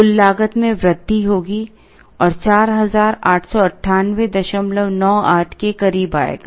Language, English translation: Hindi, The total cost will increase and come closer to 4898